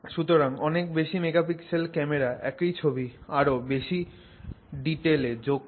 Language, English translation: Bengali, The higher megapixels is adding more points to the same image